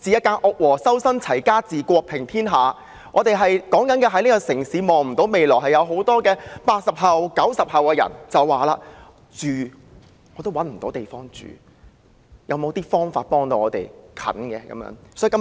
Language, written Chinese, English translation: Cantonese, 正所謂"修身、齊家、治國、平天下"，我們常說這個城市的人看不到未來，正是因為很多 "80 後"、"90 後"世代找不到地方住，希望政府可以想法子盡快幫助他們。, As the saying goes Improve upon yourself first then manage your family then govern your state; thereby bringing justice and virtue to the world . It is often said that people in this city cannot see a future precisely because many members of the generations born in the 1980s and 1990s fail to find a place to live and are thus pinning their hope on the Government to come up quickly with ways to help them